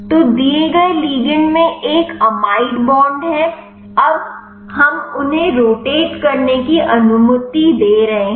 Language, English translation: Hindi, So, there is a amide bond in the given ligand, now we are allowing them also rotatable